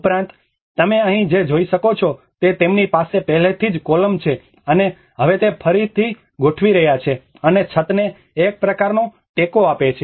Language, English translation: Gujarati, \ \ \ Also, what you can see here is whatever the columns they already have and now retrofitting them and giving a kind of support to the ceiling as well